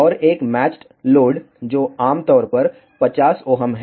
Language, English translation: Hindi, And, that of a matched load, which is typically 50 ohm